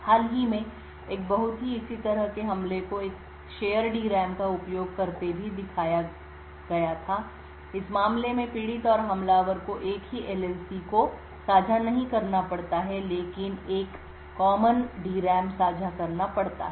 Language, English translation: Hindi, Very recently a very similar type of attack was also showed using a shared DRAM in such a case the victim and the attacker do not have to share the same LLC but have to share a common DRAM